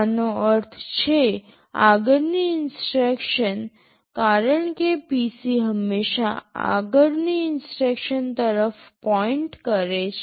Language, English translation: Gujarati, This means the next instruction, because PC always points to the next instruction